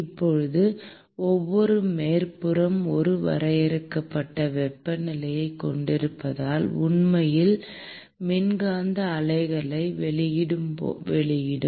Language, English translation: Tamil, Now, every surface by virtue of it having a finite temperature would actually emit electromagnetic waves